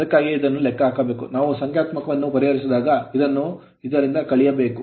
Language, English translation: Kannada, That is why this has to be you have to be when we solve their solve the numerical this has to be subtracted from this one right